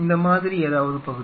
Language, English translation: Tamil, So, something like this